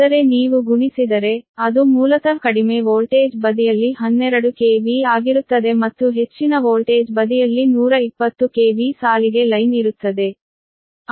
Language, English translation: Kannada, that is, if you multiply by root three root three, it will basically twelve ah on the low voltage side, twelve k v and high voltage side will be one twenty k v line to line, right